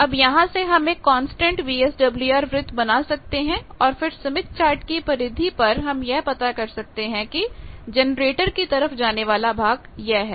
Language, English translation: Hindi, Now, I can always draw the constant VSWR circle and then towards generator in the smith chart periphery, I can find that towards generator is this